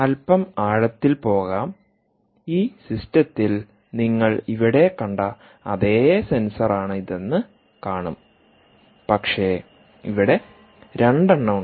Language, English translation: Malayalam, you will see that it is the same sensor that you saw here in this system, right, but there are two here